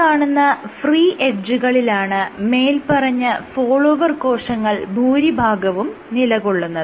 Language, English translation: Malayalam, So, these are the free edge which contain most of the follower cells